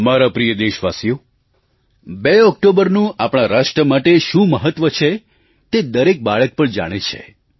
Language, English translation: Gujarati, My dear countrymen, every child in our country knows the importance of the 2nd of October for our nation